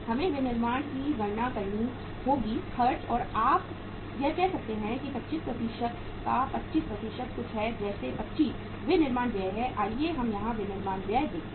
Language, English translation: Hindi, We will have to calculate manufacturing expenses are uh you can say that is 25% of 25% of something like 25 into what is the manufacturing expenses, let us see the manufacturing expenses here